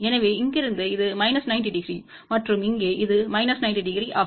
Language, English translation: Tamil, So, from here this is minus 90 degree and this one here is also minus 90 degree